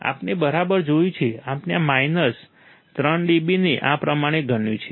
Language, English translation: Gujarati, We have seen right, we have considered this minus 3 dB like this is, right